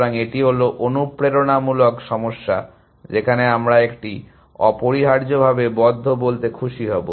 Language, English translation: Bengali, So, this is the motivating problem where, we would be happy to say one closely essentially